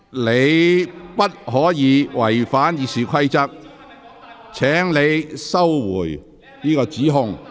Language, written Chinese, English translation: Cantonese, 你不可違反《議事規則》，請收回這項指控。, You cannot violate the Rules of Procedure . Please withdraw the accusation